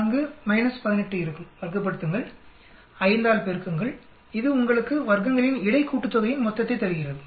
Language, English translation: Tamil, 4 minus 18, square it, multiply by 5, this will give you total of between sum of squares